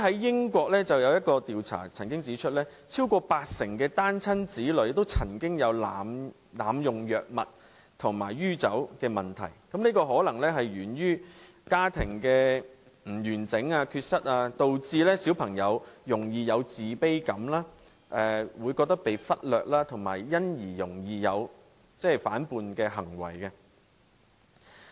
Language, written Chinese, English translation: Cantonese, 英國曾經有一項調查指出，超過八成單親子女曾經有濫用藥物及酗酒問題，這可能是源於家庭不完整，導致小朋友容易有自卑感，會覺得被忽略，以及因而容易作出反叛行為。, According to a survey conducted in the United Kingdom over 80 % of the children from single - parent families have experienced problems with drug and alcohol abuse . This may be attributed to their families being incomplete as that makes it easier for these children to have low self - esteem and feel neglected and then act rebelliously